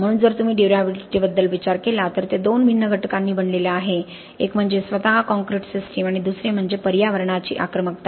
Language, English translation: Marathi, So if you think about durability it is made up of two distinct components one is the concrete system itself and the other is the aggressiveness of the environment